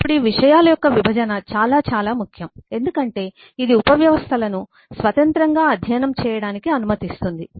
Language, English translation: Telugu, now, this separation of concern is very, very important because that is what allows us to study the subsystems independently